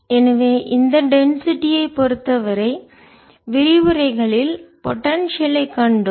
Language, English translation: Tamil, so for this density we have seen a in the lectures, the potential